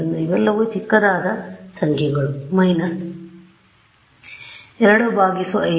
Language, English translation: Kannada, So, these are all numbers which are small right minus 2 by 5 is minus 0